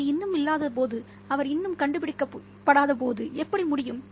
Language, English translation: Tamil, How could it when it was still not, when he was still not found